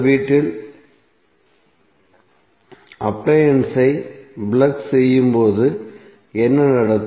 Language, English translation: Tamil, So what happens when you plug in your appliance in the house